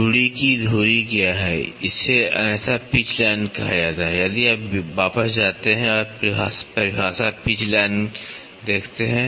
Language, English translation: Hindi, What is the axis of the thread, it is otherwise called as the pitch line, if you go back and see the definition pitch line